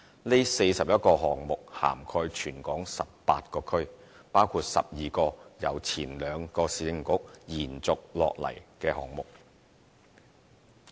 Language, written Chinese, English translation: Cantonese, 這41個項目涵蓋全港18區，包括12個由兩個前市政局延續下來的項目。, These 41 projects cover all 18 districts of the territory and include 12 projects carried forward from the two former Municipal Councils